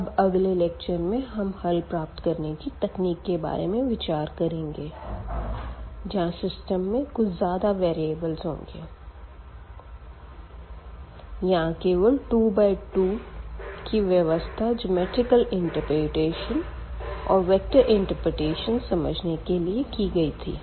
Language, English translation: Hindi, So, in the next lecture we will be talking about this now the solution techniques to find the solution when we have a large system; not just 2 by 2 which we have considered here for geometrical and the vector interpretation